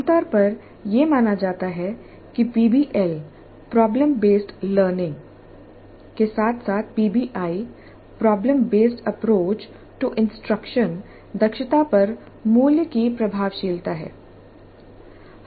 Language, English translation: Hindi, It is generally perceived that PBL problem based learning as well as PBI problem based approach to instruction values effectiveness or efficiency